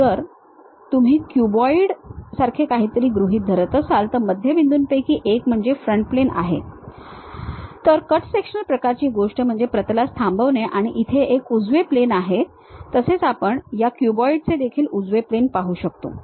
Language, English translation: Marathi, So, if you are assuming something like a cuboid one of the mid plane is front plane, the cut sectional kind of thing is stop plane and there is a right plane also we can see right plane of that cuboid